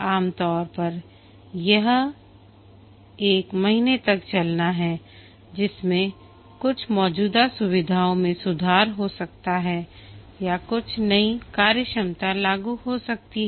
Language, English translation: Hindi, Usually it's a month long iteration in which some existing features might get improved or some new functionality may be implemented